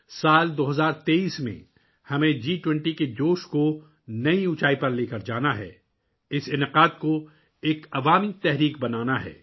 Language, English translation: Urdu, In the year 2023, we have to take the enthusiasm of G20 to new heights; make this event a mass movement